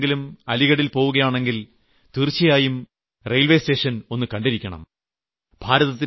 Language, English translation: Malayalam, If you go to Aligarh, do visit the railway station